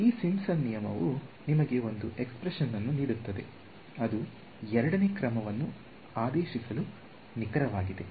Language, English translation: Kannada, But, this Simpson’s rule tells you gives you one expression which is accurate to order second order